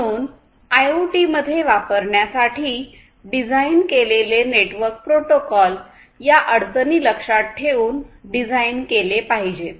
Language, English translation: Marathi, So, network protocols that are designed for use in IoT should be designed accordingly keeping these constraints in mind